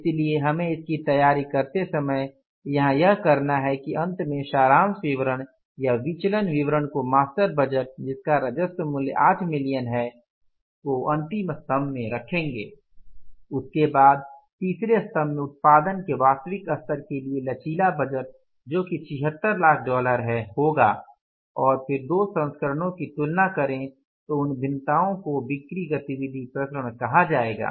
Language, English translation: Hindi, So, what we have to do here is while preparing that means the finally the summary statement or the variance statement you will put in the last column the master budget information that is 8 million worth of the revenue then in the third column there will be the flexible budget for the actual level of production that is the 76 lakh dollars and then comparing the two variances those variances will come up as sales activity variances